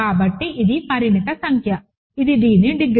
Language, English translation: Telugu, So, it is a finite number which is the degree of this